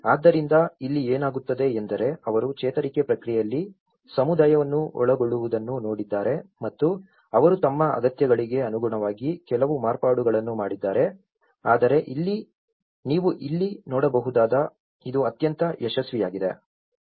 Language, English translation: Kannada, So, here, what happens is they also looked at involving the community in the recovery process and they also made some modifications according to their needs but what you can see here is this has been very successful